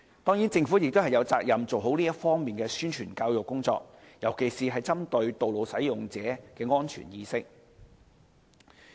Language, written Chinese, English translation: Cantonese, 當然，政府亦有責任做好這方面的宣傳教育工作，尤其是針對道路使用者的安全意識。, Certainly the Government is also duty - bound to properly carry out publicity and education work in this regard targeting the safety awareness of road users